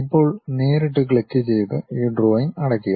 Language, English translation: Malayalam, Now, close this drawing by straight away clicking